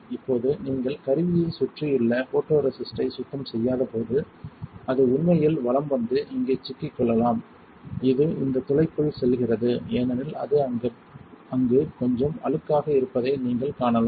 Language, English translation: Tamil, Now, when you do not clean the photoresist around the tool, it can actually crawl and get stuck into here which goes into this hole as you can see it is a little dirty in there